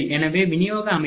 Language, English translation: Tamil, So, the distribution system